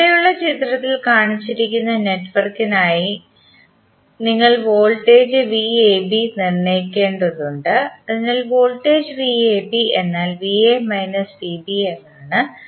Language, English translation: Malayalam, For the network shown in the figure below we need to determine the voltage V AB, so voltage V AB means V A minus V B